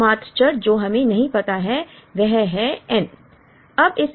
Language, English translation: Hindi, The only variable that we do not know is n